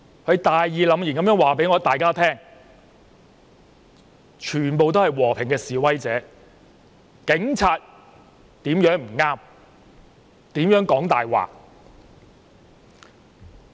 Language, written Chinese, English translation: Cantonese, 他大義凜然地告訴大家，現場全部是和平的示威者、警方如何不對、如何說謊。, He told us righteously that all the people at the scene were peaceful protesters how the Police were wrong and how they lied